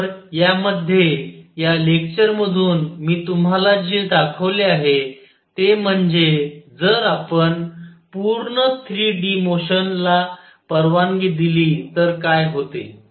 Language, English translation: Marathi, So, what I have shown through you through this lecture in this is that if we allow full 3 d motion, what happens